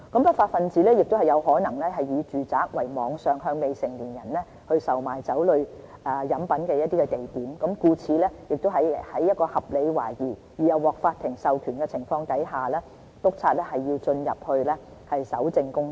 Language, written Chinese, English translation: Cantonese, 不法分子亦有可能以住宅作為網上向未成年人售賣酒類飲品的地點，故此在有合理懷疑而又獲法庭授權的情況下，督察是要進入住宅進行搜證工作。, Law breakers may use domestic premises as the point of selling alcoholic beverages to minors online so inspectors have to enter domestic premises to collect evidence on the basis of reasonable suspicion under the courts authorization